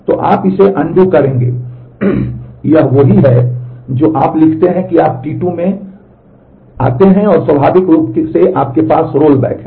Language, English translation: Hindi, So, you will undo this, this is what you write you come across T 2 and naturally you have rollback